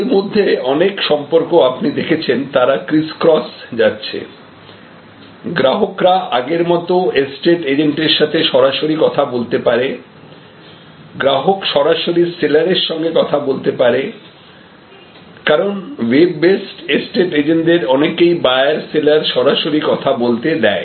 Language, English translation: Bengali, And many of these relationships as you can see now, they are going crisscross, so they are going… The customer can directly connect to estate agent as they did before, but the customer can directly talk to the seller, customer can… Because, many of this web based estate agents allow the customer and seller to talk to each other